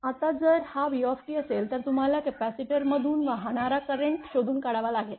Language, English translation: Marathi, Now, if this is the v t then you have to find out current flowing through the capacitor